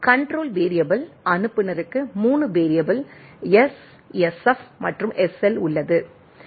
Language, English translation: Tamil, Control variable, sender has 3 variable S, SF and SL